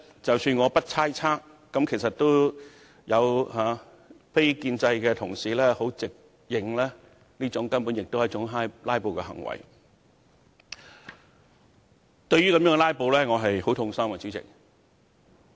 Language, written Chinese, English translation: Cantonese, 即使我不猜測，非建制派同事也直認這根本是"拉布"，主席，這樣"拉布"令我很痛心。, Even though I did not hazard a guess the non - establishment Members admitted brazenly that this is downright a filibuster . President such filibustering is heart - rending to me